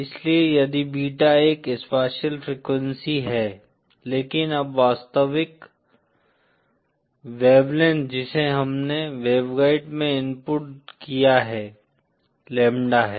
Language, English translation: Hindi, So if beta is a spatial frequency but then the actual real, wavelength that we have inputted into the waveguide is lambda